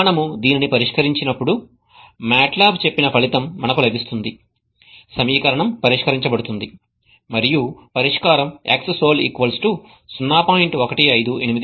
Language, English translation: Telugu, okay and let us solve this when we solve this we get the result matlab tells that the equation is solved and the solution xsol is equal to 0